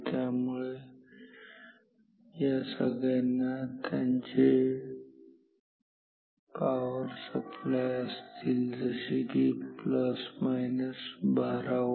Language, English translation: Marathi, So, all these will have their power supplies say like plus minus 12 volt